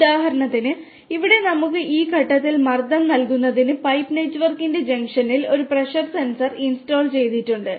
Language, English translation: Malayalam, So, here for example, we have a pressure sensor installed at the junction of the pipe network to give us the pressure at a pressure at this point